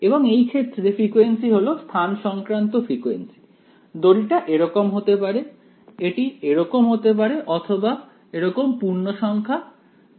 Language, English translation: Bengali, Now in this case frequency is a spatial frequency right, the string can be like this, it can be like this or you know integer multiples like this right